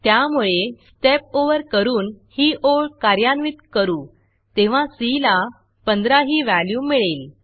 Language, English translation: Marathi, So, when we Step Over and execute that line, c will get a value of 15